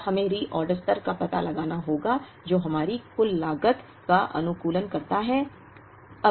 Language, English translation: Hindi, Now, we have to find out the reorder level that optimizes our total cost